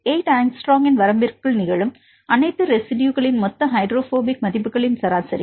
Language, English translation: Tamil, Average the total hydrophobic values of all the residues which are occurring within the limit of 8 angstrom